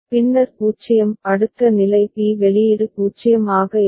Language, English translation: Tamil, Then 0, next state will be b output will be 0